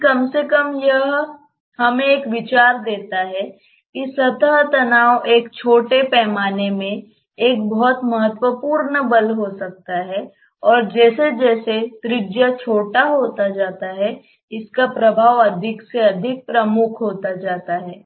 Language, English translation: Hindi, But at least it gives us an idea that surface tension may be a very important force in a small scale and as the radius becomes smaller and smaller its effect becomes more and more prominent